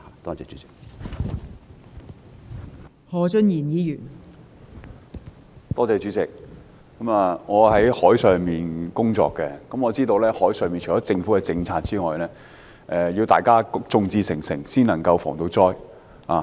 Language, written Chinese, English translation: Cantonese, 代理主席，我是從事海上工作的，我知道除了政府的政策外，還需要大家眾志成城，才能夠防災。, Deputy President I work on the sea . I know that apart from the Governments policies we also need to make concerted efforts to prevent disasters